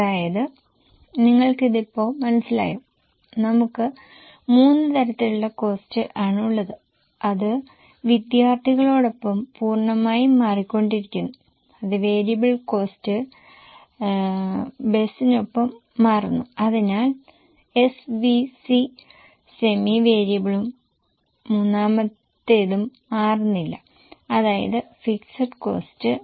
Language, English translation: Malayalam, We have got three types of costs, one which are totally changing with student, that is variable, one which are changing with bus, so SVC semi variable, and the third ones are not changing at all